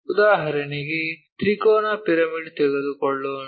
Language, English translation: Kannada, For example, let us take triangular pyramid